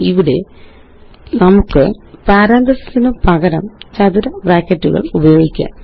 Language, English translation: Malayalam, Here we can also use square brackets instead of parentheses